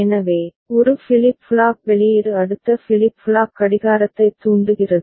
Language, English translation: Tamil, So, one flip flop output is triggering the next flip flop clock ok